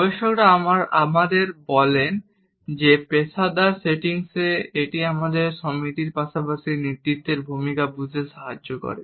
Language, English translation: Bengali, Researchers tell us that in professional settings it helps us to understand the associations as well as leadership roles